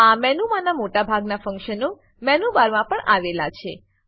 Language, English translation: Gujarati, Most of the functions in this menu are duplicated in the menu bar